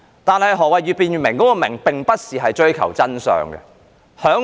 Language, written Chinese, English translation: Cantonese, 但是，越辯越明中的"明"，並不是要追求真相。, However the word clearer in the more the subject is debated the clearer it becomes does not refer to the pursuit of truth